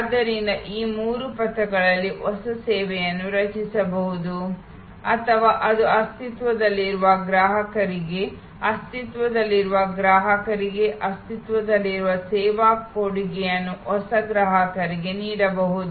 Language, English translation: Kannada, So, new services can be created in these three trajectories either it can be existing service offered new service offer to existing customer existing service offer to new customer